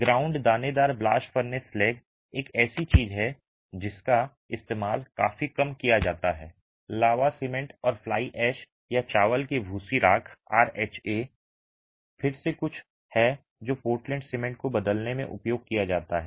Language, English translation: Hindi, Ground granulated blast furnace slag is something that is used quite a bit, slag cement and fly ash or rice husk ash rh , is again something that is used in replacing portland cement